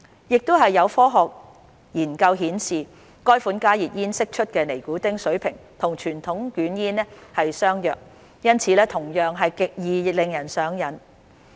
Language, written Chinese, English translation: Cantonese, 亦有科學研究顯示，該款加熱煙釋出的尼古丁水平與傳統捲煙相若，因此同樣極易令人上癮。, Scientific studies have also shown that the nicotine levels emitted by the HTP are similar to those by conventional cigarettes making it equally addictive